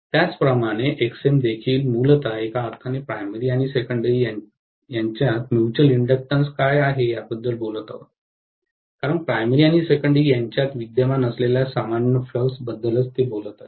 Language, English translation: Marathi, Similarly if I look at Xm, Xm is also essentially talking about what is the mutual inductance between the primary and secondary in one sense, because that is the one which is talking about the common flux that is existing between primary and secondary